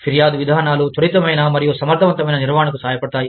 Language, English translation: Telugu, Grievance procedure helps management, quickly and efficiently